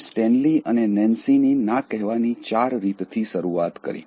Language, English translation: Gujarati, We started with four ways to say “No” from Stanley and Nancy